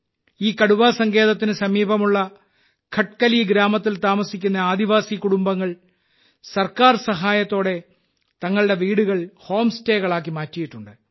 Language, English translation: Malayalam, Tribal families living in Khatkali village near this Tiger Reserve have converted their houses into home stays with the help of the government